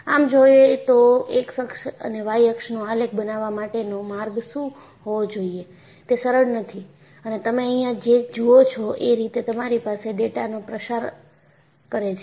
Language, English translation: Gujarati, In fact, arriving at, what should be the way x axis to be plotted and y axis to be plotted is not simple and what you see here is, you have a scatter of data